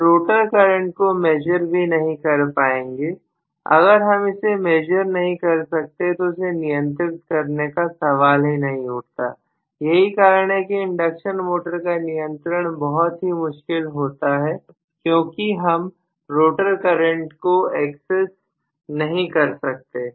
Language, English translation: Hindi, I will not be able to measure the rotor current if I do not even measure where is the question of controlling it, so control of induction motor becomes really really difficult because of the fact that the rotor currents are not even accessible to me